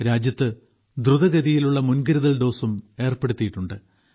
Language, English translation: Malayalam, Precaution dose is also being rapidly administered in the country